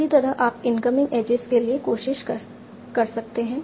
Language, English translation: Hindi, Similarly you can try for the incoming edges